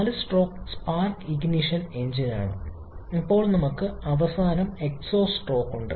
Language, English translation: Malayalam, This a 4 stroke spark ignition engine, then we have the final exhaust stroke